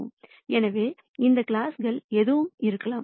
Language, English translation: Tamil, So, this classes could be anything